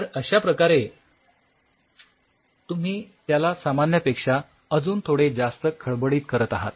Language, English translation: Marathi, So, you actually make it slightly more rough than normal